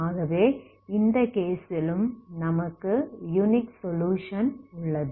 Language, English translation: Tamil, So you have again unique solution, so in this case, okay